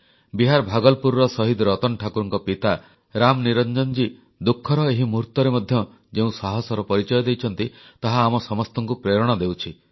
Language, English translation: Odia, The fortitude displayed by Ram Niranjanji, father of Martyr Ratan Thakur of Bhagalpur, Bihar, in this moment of tribulation is truly inspiring